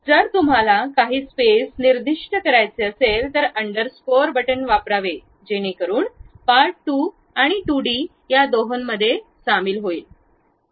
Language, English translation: Marathi, So, if you want to really specify some space has to be given use underscore button, so that that joins both the part2 and 2d thing